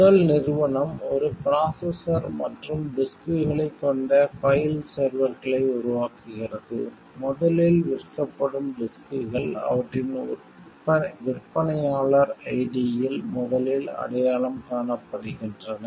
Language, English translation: Tamil, First company makes a file servers consisting of a processor and disks, disks sold by first identify first in their vendor ID